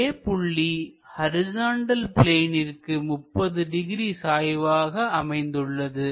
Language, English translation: Tamil, Now, this A makes 30 degrees to horizontal plane